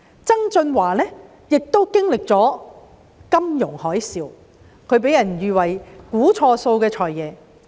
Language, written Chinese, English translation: Cantonese, 曾俊華擔任財政司司長的時候經歷了金融海嘯，他被喻為"估錯數的財爺"。, John TSANG who experienced the financial tsunami when he was FS was dubbed FS who made the wrong estimates